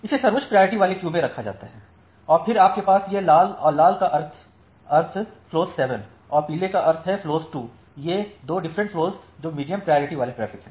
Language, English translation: Hindi, So, it is put in the highest priority queue, then you have this red and the red means flow 7 and yellow means flow 2 these 2 different flows which are medium priority traffic